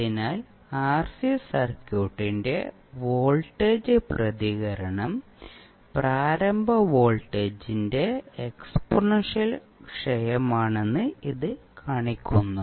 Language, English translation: Malayalam, So this shows that the voltage response of RC circuit is exponential decay of initial voltage